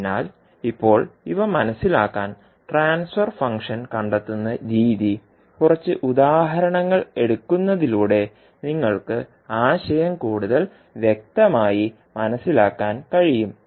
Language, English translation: Malayalam, So, now to understand these, the finding out the transfer function let us take a few examples so that you can understand the concept more clearly